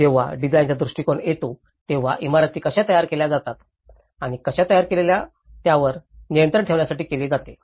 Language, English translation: Marathi, When the design approach, this is to do with to control mechanisms how buildings are designed and built